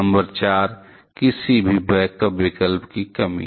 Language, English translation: Hindi, Number 4: The lack of any backup option